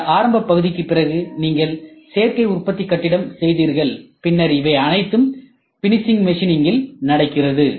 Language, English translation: Tamil, And then after this initial part, you did additive manufacture building, then these are these things which happen in the finishing machines right